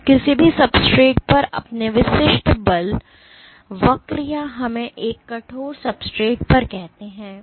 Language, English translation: Hindi, So, your typical force curve on any substrate or let us say on a stiff substrate